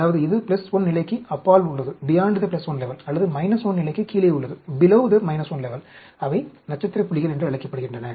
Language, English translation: Tamil, That means, it is beyond the plus 1 level, or below the minus 1 level; they are called the star points